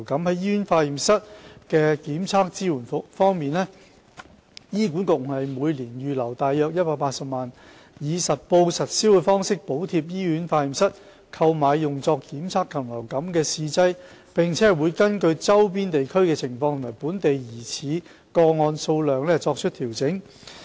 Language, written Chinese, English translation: Cantonese, 在醫院化驗室的檢測支援方面，醫管局每年預留約180萬元，以實報實銷的方式補貼醫院化驗室購買用作檢測禽流感的試劑，並會根據周邊地區的情況及本地疑似個案數量作出調整。, On hospital laboratory testing support HA has earmarked about 1.8 million a year to provide subsidy on an accountable and reimbursement basis for hospital laboratories to purchase avian influenza test reagents . The level of subsidy will be adjusted according to the situation of neighbouring areas and the number of suspected local cases . Manpower will be deployed among cluster laboratories to meet the testing workload